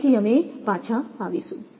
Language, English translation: Gujarati, Again, we will be back